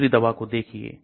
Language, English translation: Hindi, Look at another drug